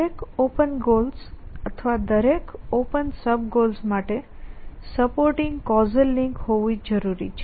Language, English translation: Gujarati, It means every open goal or every goal every sub goal must have a supporting casual link